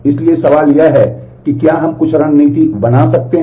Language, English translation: Hindi, So, the question is can we make some strategy